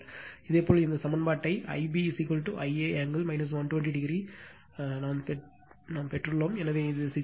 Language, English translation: Tamil, Similarly, you have derived this equation I b is equal to I a angle minus 120 degree, so, it will be 6